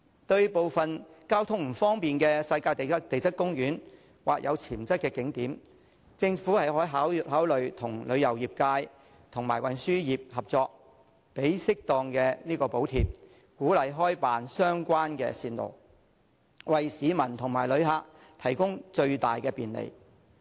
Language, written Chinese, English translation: Cantonese, 對部分交通不便的地質公園或有潛質的景點，政府可以考慮與旅遊業界及運輸業合作，提供適當的補貼，鼓勵開辦相關的線路，為市民和旅客提供最大的便利。, Regarding the geopark and some potential visitor attractions which are not easily accessible the Government can consider collaborating with the tourism industry and the transportation sector and providing suitable subsidies to encourage them to provide transport services along the relevant routes so as to provide the greatest convenience to members of the public and visitors